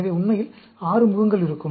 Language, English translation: Tamil, So, there will be 6 faces, actually